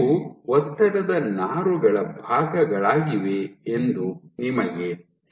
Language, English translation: Kannada, So, you know that these are form parts of stress fibers